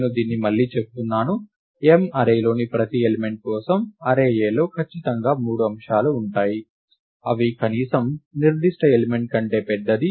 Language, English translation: Telugu, I repeat this, for each element in the array M, there are definitely 3 elements in the array A, which are at least as larger as that particular element